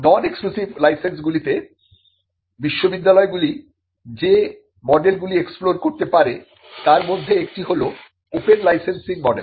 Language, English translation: Bengali, In the non exclusive licenses one of the models that universities can explore is the open licensing model